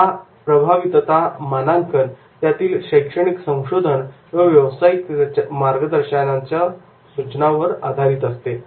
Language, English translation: Marathi, The effectiveness rating is based on both academic research and practitioner recommendations